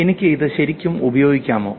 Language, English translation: Malayalam, Can I actually use this